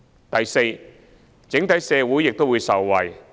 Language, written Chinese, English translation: Cantonese, 第四，整體社會受惠。, Fourth society as a whole will benefit